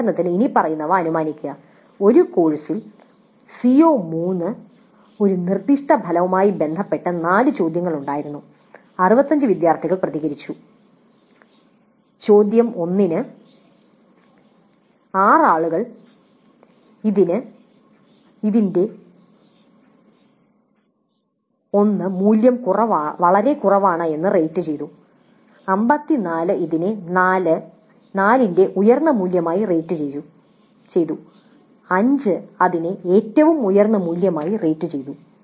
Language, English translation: Malayalam, Assume that there were four questions related to one specific outcome CO3 in a course and 65 students responded and just let us assume that for question 1, 6 people rated it very low, a value of 1, 54 rated it reasonably high, a value of 4, and 5 rated it at 5 the highest value